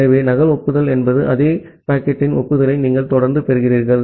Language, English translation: Tamil, So, duplicate acknowledgement means, you are continuously receiving the acknowledgement of the same packet